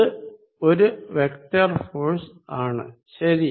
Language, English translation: Malayalam, This is a vector force right